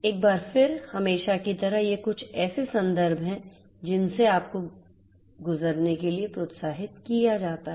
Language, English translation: Hindi, Once again as usual, these are some of the references that you are encouraged to go through